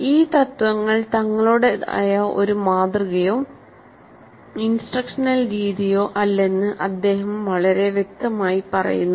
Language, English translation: Malayalam, And he is very clear that these principles are not in and of themselves a model or a method of instruction